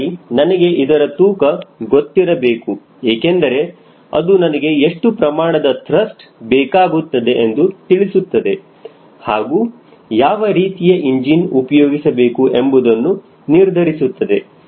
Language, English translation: Kannada, so i need to know this weight because that will tell me what is the thrust required and i can now think of what sort of the engine i will be picking up